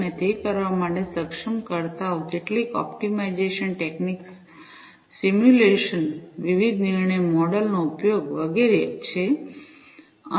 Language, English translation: Gujarati, And the enablers for doing it, are some optimization techniques simulations, use of different decision models, and so on